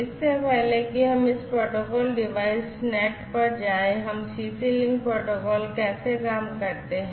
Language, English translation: Hindi, So, before we go to this protocol device net we will go through overall how this CC link protocol works